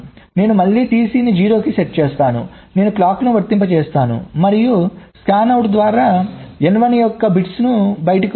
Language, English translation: Telugu, i again set t c to zero, i apply clocks and through the scanout the bits of n one will come out